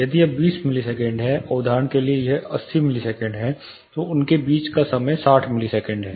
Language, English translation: Hindi, This time say if it is 20 milliseconds this is for example, 80 milliseconds, the time difference between them is 16 milliseconds